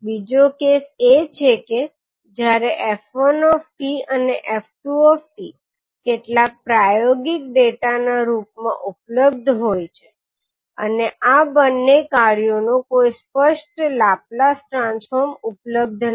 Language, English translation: Gujarati, Another case is that when f1t and f2t are available in the form of some experimental data and there is no explicit Laplace transform of these two functions available